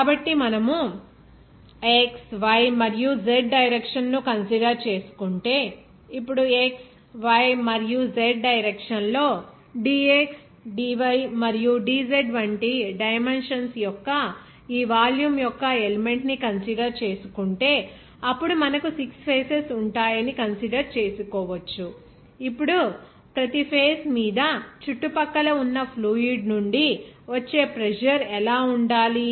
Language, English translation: Telugu, So, you will see that if we consider that x, y and z direction, now if you consider this the element of this volume of dimensions like dx, dy and dz in x, y and z direction, then we will get or we can consider that there will be 6 faces, now on each face what should be the pressure that is exerted from surrounding fluid